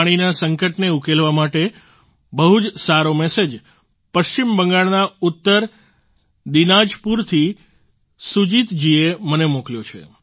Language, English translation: Gujarati, In order to solve the water crisis, Sujit ji of North Dinajpur has sent me a very nice message